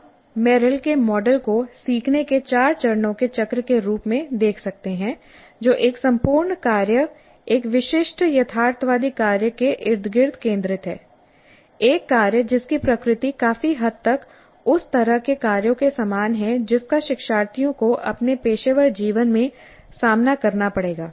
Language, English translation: Hindi, So we can look at the Merrill's model as a four phase cycle of learning centered around a whole task, a realistic task, a task whose nature is quite similar to the kind of tasks that the learners will face in their professional life